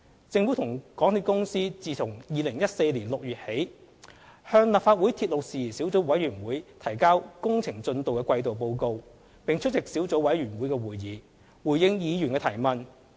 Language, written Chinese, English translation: Cantonese, 政府與港鐵公司自2014年6月起，向立法會鐵路事宜小組委員會提交工程進度的季度報告，並出席小組委員會會議，回應議員的提問。, Since June 2014 the Government and MTRCL have been submitting quarterly progress report to the Subcommittee on Matters Relating to Railways and attended its meetings to respond to Members questions